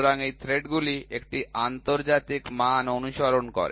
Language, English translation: Bengali, So, these threads follow an international standard, ok